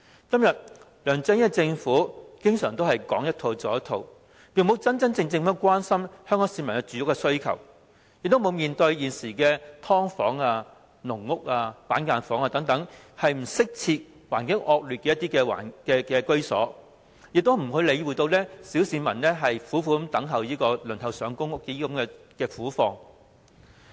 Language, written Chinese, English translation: Cantonese, 今天，梁振英政府講一套，做一套，從沒有真正關心香港市民的住屋需求，沒有面對現時住在"劏房"、"籠屋"、"板間房"等不適切、環境惡劣居所的市民的困難，也沒有理會小市民苦苦輪候公屋的苦況。, Today the LEUNG Chun - ying regime says one thing and does another . It never truly cares about the peoples housing needs or addresses squarely the difficulties faced by people who are living in undesirable dwellings with appalling living conditions such as subdivided units caged homes and cubicle apartments; neither does it show concern to the plight of members of the public waiting for PRH